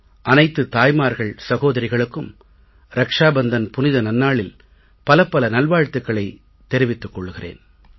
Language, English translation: Tamil, I offer my best wishes to all mothers and sisters on this blessed occasion of Raksha Bandhan